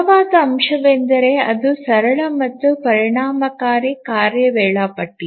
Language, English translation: Kannada, The strong point is that it's a simple and efficient task scheduler